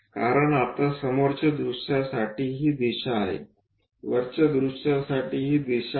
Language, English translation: Marathi, Because now, this is the direction for front view direction, this is the top view direction